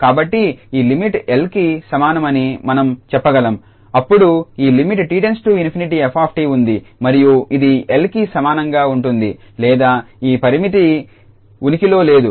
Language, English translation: Telugu, So, thus we can say that this limit is equal to L then either this t tends to infinity f t exists and this will be equal to L, or this limit does not exists